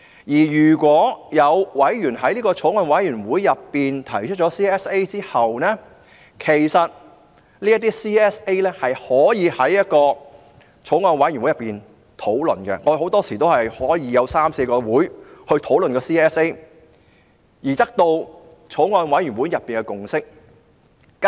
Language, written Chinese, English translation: Cantonese, 如有委員在法案委員會上提出 CSA 後，其實委員可就這些 CSA 在法案委員會會議上進行討論，我們很多時有三四個會議也在討論 CSA， 直至得到法案委員會內的共識。, After some CSAs are proposed by Members in the Bills Committee Members can discuss these CSAs in the Bills Committee meetings . It is common for us to discuss CSAs in three to four meetings until the Bills Committee can reach a consensus